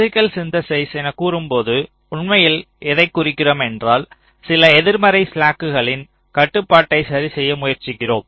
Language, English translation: Tamil, that when we say physical synthesis what we actually mean is we are trying to adjust, a control some of the negative slacks